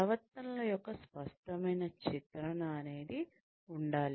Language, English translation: Telugu, Clear portrayal of behaviors should be there